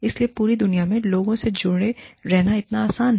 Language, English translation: Hindi, So, it is so easy, to stay connected to people, all over the world